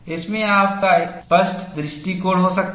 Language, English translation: Hindi, You can have a clear view in this